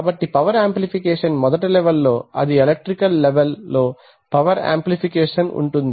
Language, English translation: Telugu, So you have power amplification first one level power amplification which is in the electrical level